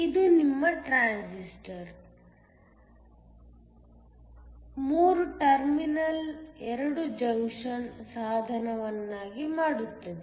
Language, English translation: Kannada, This makes your transistor a 3 terminal 2 junction device